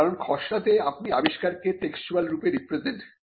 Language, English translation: Bengali, This is important because, in drafting you are representing the invention in a textual form